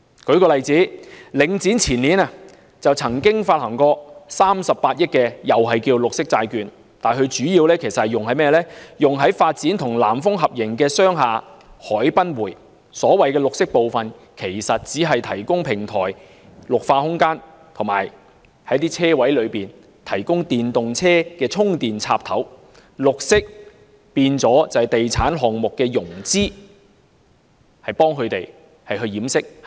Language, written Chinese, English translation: Cantonese, 舉例而言，領展房地產投資信託基金於前年曾發行38億元綠色債券，但主要用於發展與南豐發展有限公司合營的商廈海濱匯，所謂的綠色部分其實只是提供平台綠化空間，以及為車位提供電動車充電插頭，"綠色"變成地產項目的融資潤飾。, For example Link REIT Link issued green bonds worth 3.8 billion the year before last but the sum raised was used primarily for financing the Quayside a commercial building project under a joint venture with Nan Fung Development Limited . In fact the so - called green element is only the provision of greening opportunities on the podium and electric vehicle chargers at parking spaces and green serves to sugarcoat the financing for real estate projects